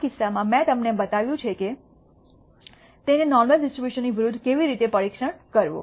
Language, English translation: Gujarati, In this case, I have shown you how to test it against the normal distribution